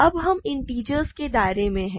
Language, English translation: Hindi, Now, we are in the realm of integers, right